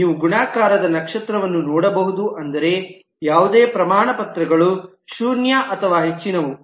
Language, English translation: Kannada, You can see the multiplicities star, which means any number of certificates, zero or more